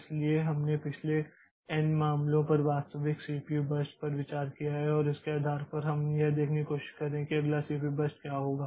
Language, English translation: Hindi, So, we are considering the actual CPU bursts over last n cases okay and based on that we are trying to see like what is going to be the next CPU burst